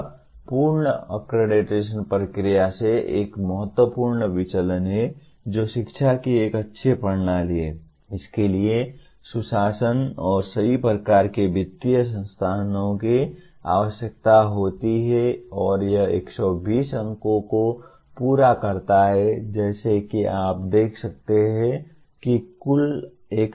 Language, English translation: Hindi, This is a significant deviation from the earlier accreditation process that is a good system of education requires good governance and the right kind of financial resources and that carry 120 as you can see the total is 1000 marks